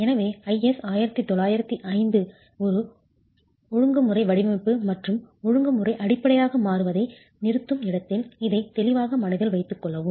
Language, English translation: Tamil, So please keep this clearly in mind where IS 1905 stops becoming regulatory design and regulatory basis